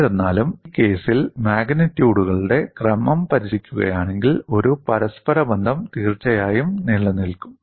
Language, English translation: Malayalam, Nevertheless, if you look at the order of magnitudes in this case, a correlation definitely exists